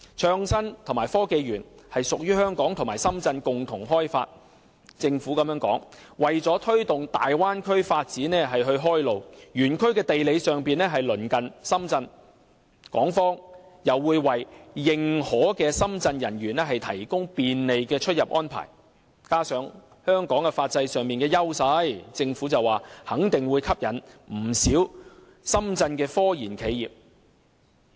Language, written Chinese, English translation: Cantonese, 創新及科技園屬香港和深圳共同開發，而政府的說法是為了推動大灣區發展開路，園區的地理上是鄰近深圳，港方又會為認可的深圳方人員提供便利的出入安排，加上香港在法制上的優勢，肯定會吸引不少深圳的科研企業。, The Park is jointly developed by Hong Kong and Shenzhen . The Government claims that the Park will pave the way for promoting the development of the Guangdong - Hong Kong - Macao Bay Area . As the Park is in geographical proximity to Shenzhen and Hong Kong will provide convenient immigration arrangement for recognized Shenzhen staff coupled with Hong Kongs advantage in its legal system the Bay Area will definitely attract many Shenzhen technology research enterprises